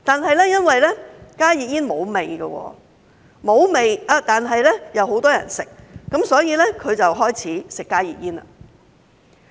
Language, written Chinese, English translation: Cantonese, 不過，因為加熱煙沒有味，沒有味但又很多人吸食，所以她便開始吸加熱煙。, Nonetheless since HTPs do not have any smell and are popular among many people she has started consuming HTPs